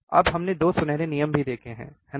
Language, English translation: Hindi, Now, we have also seen 2 golden rules, isn't it